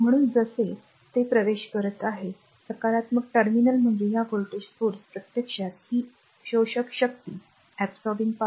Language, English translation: Marathi, So, as it is entering into a positive terminal means this voltage source actually this source actually is absorbing this absorbing power